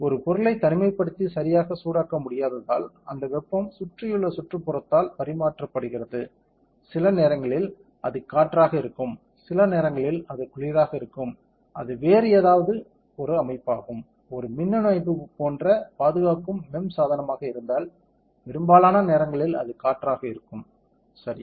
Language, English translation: Tamil, As an object cannot get heated in isolation correct, it will get heated and that heat gets transferred by the surrounding that it is in; sometimes it will be air, sometimes it will be water cold, it can be anything conserving it is an electronic system as a MEMS device most of the time it will just air, correct